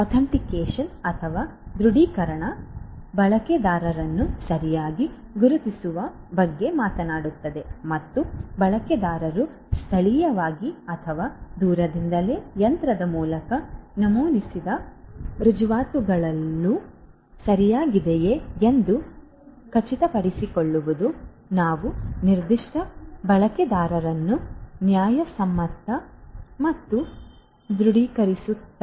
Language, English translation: Kannada, Authentication talks about identification of user correctly and ensuring that the credentials that are entered locally or remotely through the machine by the user are all correct and we are given, we are authenticating a particular user to be a legitimate one